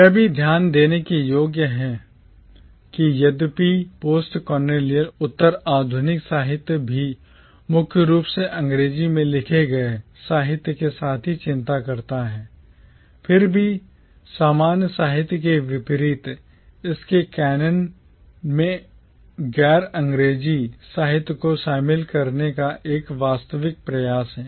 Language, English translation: Hindi, Also it is worth noting that though postcolonial literature too concerns itself primarily with literature written in English, yet unlike commonwealth literature there is a genuine attempt to incorporate non English literatures within its canon